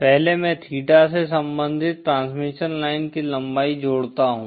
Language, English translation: Hindi, First I connect a length of transmission line corresponding to theta